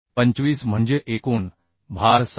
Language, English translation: Marathi, 25 that means total load is 17